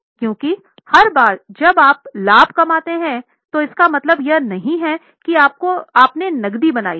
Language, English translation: Hindi, Because every time you have made profit does not mean you have made cash